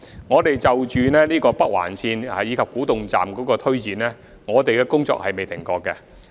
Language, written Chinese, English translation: Cantonese, 我們就着北環線及古洞站進行的推展工作從來未曾停止。, We have never stopped working on the implementation of the Northern Link and Kwu Tung Station